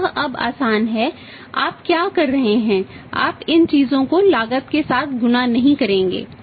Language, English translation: Hindi, So, simple it is now now what you will be doing you will not multiply these things with the cost